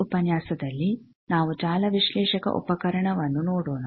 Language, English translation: Kannada, In this lecture, we will see the instrument network analyzer